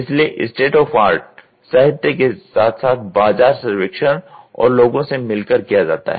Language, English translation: Hindi, So, state of the artist from the literature as well as from the market survey and meeting people